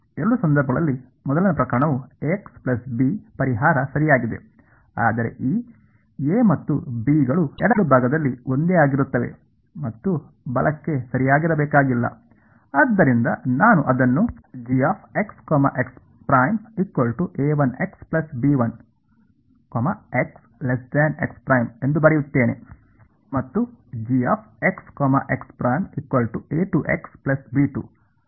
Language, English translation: Kannada, The first case in both cases the solution is A x plus B right, but will these A’s and B’s be the same on the left and right need not be right, so I will write it as A 1 x plus B 1 and A 2 x plus B 2 ok